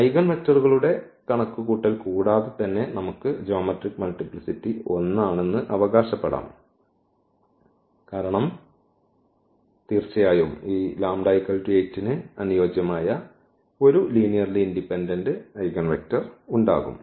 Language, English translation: Malayalam, So, without calculation of the eigenvectors as well we can claim that the geometric multiplicity will be 1, because definitely there will be one linearly independent eigenvector corresponding to this lambda is equal to 8